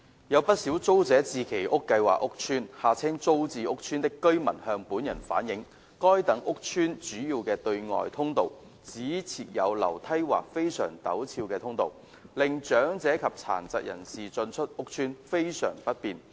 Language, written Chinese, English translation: Cantonese, 有不少租者置其屋計劃屋邨的居民向本人反映，該等屋邨的主要對外通道只設有樓梯或非常陡斜通道，令長者及殘疾人士進出屋邨非常不便。, Quite a number of residents of the housing estates under the Tenants Purchase Scheme TPS have relayed to me that only stairs or very steep passageways are provided at the main external access of such estates making it very inconvenient for the elderly and persons with disabilities PWDs to access the estates